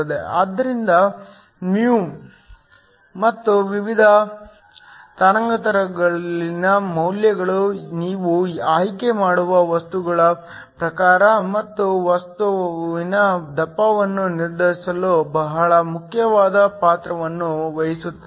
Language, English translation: Kannada, So, the value of mu and the corresponding at different wavelengths, something that plays a very important role in determining the type of material you would choose and also the thickness of the material